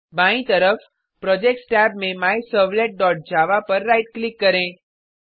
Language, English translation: Hindi, So on the left hand side, in the Projects tab right click on MyServlet dot java